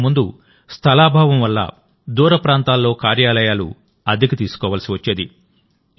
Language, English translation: Telugu, Earlier, due to lack of space, offices had to be maintained on rent at far off places